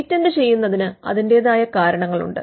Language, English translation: Malayalam, Patenting has it is own reasons too